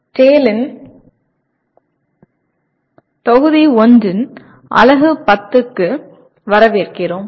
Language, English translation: Tamil, Welcome to the Unit 10 of Module 1 of TALE